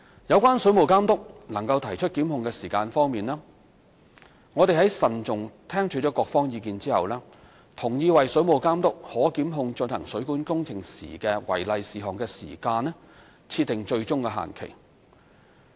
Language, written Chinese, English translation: Cantonese, 有關水務監督能提出檢控的時限方面，我們在慎重聽取各方意見後，同意為水務監督可檢控進行水管工程時的違例事項的時間設定最終限期。, Concerning the time limit for prosecution by the Water Authority we agreed after seriously considering the views of all sides to set an ultimate deadline for the Water Authority to prosecute against the non - compliances in plumbing works